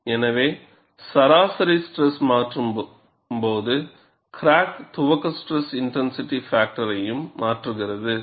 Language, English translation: Tamil, So, when the mean stress is changed, the crack initiation stress intensity factor also changes